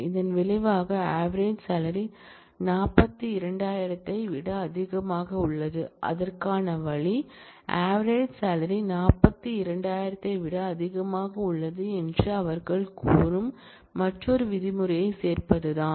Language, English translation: Tamil, So, you do not want that in the result you want only those where, the average salary is greater than 42000 and the way to do that is to add another clause called having they say that, the average salary is greater than 42000